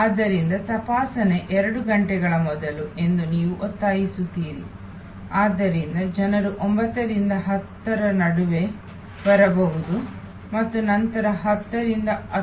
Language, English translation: Kannada, So, you insist that checking is two hours before, so the people can arrive between 9 and 10 and then they can travel to the gate between 10 and 10